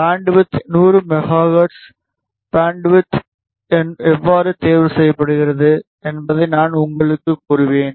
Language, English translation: Tamil, The bandwidth is 100 megahertz; I will tell you how ah the bandwidth is chosen